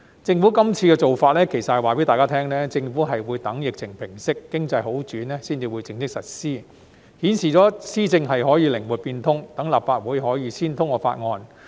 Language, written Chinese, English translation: Cantonese, 政府這次做法其實是想告訴大家，政府會等疫情平息、經濟好轉後，才會正式實施，顯示了施政可以靈活變通，讓立法會可以先通過法案。, In doing so the Government actually wants to tell us that the scheme will only be formally implemented when the pandemic has subsided and the economy has recovered . This shows that there is flexibility in its governance by having the Legislative Council passed the Bill first